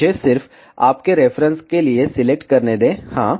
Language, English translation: Hindi, Let me just select for your reference yeah